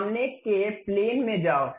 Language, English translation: Hindi, Go to front plane